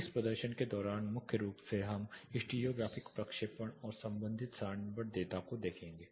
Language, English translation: Hindi, During this demonstration primarily we will look at stereographic projection and the corresponding tabular data